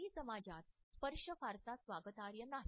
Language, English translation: Marathi, Touch is not welcome in the Chinese society